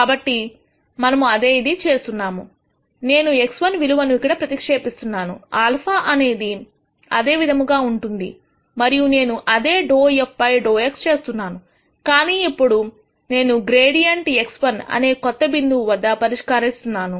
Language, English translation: Telugu, So, pretty much we are doing the same thing I substitute the value of X 1 here alpha remains the same and I do the same dou f dou x, but now, I evaluate the gradient at the new point X 1